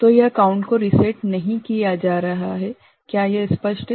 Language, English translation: Hindi, So, this counter is not getting reset, is it clear